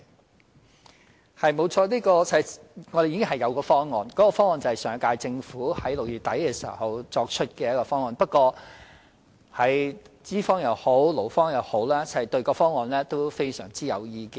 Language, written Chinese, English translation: Cantonese, 就此，我們確實已有一項方案，就是上屆政府在6月底提出的方案，但不論是資方或勞方也對方案非常有意見。, In this connection we do have a proposal in place that is the proposal made by the last - term Government in late June but both the employers and employees have strong views on it